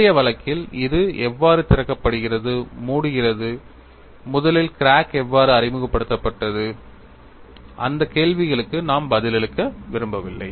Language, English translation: Tamil, In the earlier case, we had a crack how it is opening, closing, how the crack was originally introduced all those question we did not want to answer